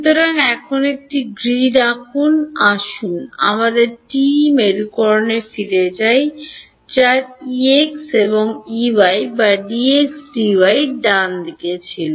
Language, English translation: Bengali, So, now let us draw a grid, let us go back to our TE polarization which had E x E y or D x D y right